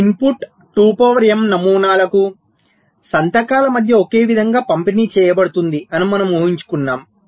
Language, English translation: Telugu, so we make an assumption that this input, two to the power m patterns are uniformly distributed among the signatures